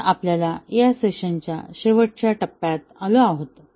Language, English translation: Marathi, So, we are just in the end of this session